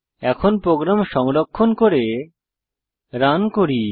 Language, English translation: Bengali, Now, save and run this program